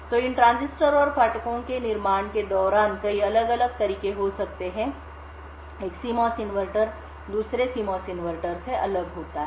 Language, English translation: Hindi, So, during the fabrication of these transistors and gates, that could be multiple different ways, one CMOS inverter differs from another CMOS inverter